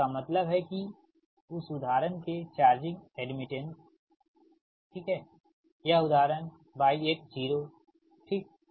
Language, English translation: Hindi, so that means that charging admittance of that example, right, this example that y, y, y, one, y, one zero